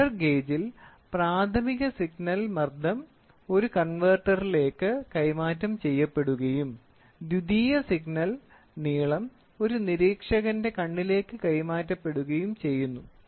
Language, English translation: Malayalam, Therefore, in pressure gauge, the primary signal pressure is transmitted to a translator and the secondary signal length is transmitted to an observer’s eye